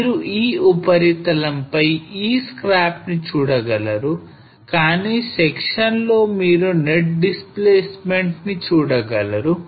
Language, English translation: Telugu, So on this surface you will be able to see this scarp, but in section you will be able to see the net displacement